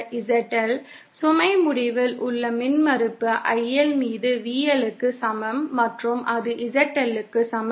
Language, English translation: Tamil, The ZL, the impedance at the load end is equal to VL upon IL and that is equal to ZL